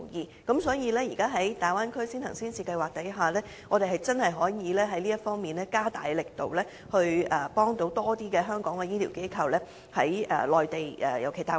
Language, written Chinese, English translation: Cantonese, 所以，政府現時可計劃一下在大灣區先行先試，我們真的可以在這方面加大力度，協助更多香港的醫療機構在內地落戶。, Thus for the time being our Government may come up with plans of launching early and pilot programmes in the Bay Area . We are indeed in a position to enhance our efforts in this regard in hopes of helping more local medical institutions to set up their bases on the Mainland in particular the Bay Area